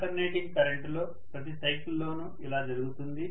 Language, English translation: Telugu, In an alternating current, this happens during every cycle